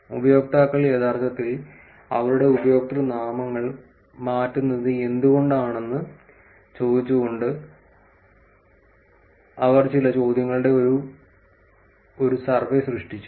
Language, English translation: Malayalam, Once she created a survey with the some questions asking why users actually change their usernames